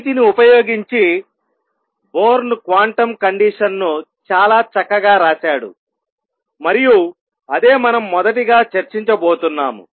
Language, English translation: Telugu, Using these Born wrote the quantum condition in a very neat way and that is what we are going to do first